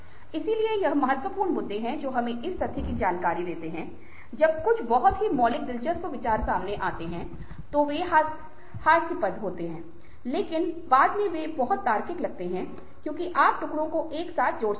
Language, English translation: Hindi, so these are important issues that ah give us insight to the fact that when some very radical, interesting ideas emerge, they look ridiculous but afterwards they seem very, very logical because you are able to link the pieces together